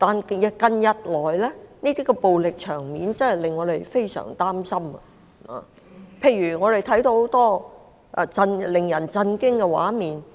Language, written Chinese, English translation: Cantonese, 然而，近日來的暴力場面，真的令我們非常擔心，尤其在看到許多令人震驚的畫面時。, However we are really very much worried about the violence used in some recent cases especially after we have seen some very shocking scenes